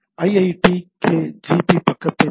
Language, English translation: Tamil, Like if we look at the IITKgp page